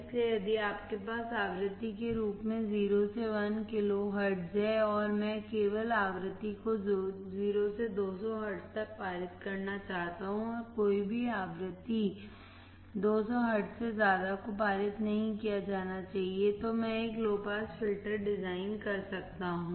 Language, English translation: Hindi, So, if you have 0 to 1 kilohertz as frequency, and I want to pass only frequency from 0 to 200 hertz and any frequency about 200 hertz should not be passed, then I can design a low pass filter